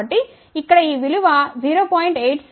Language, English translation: Telugu, So, here this value is 0